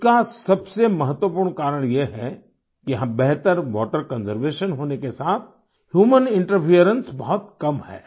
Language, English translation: Hindi, The most important reason for this is that here, there is better water conservation along with very little human interference